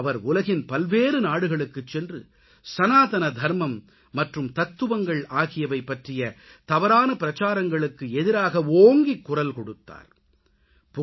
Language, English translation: Tamil, She travelled to various countries and raised her voice against the mischievous propaganda against Sanatan Dharma and ideology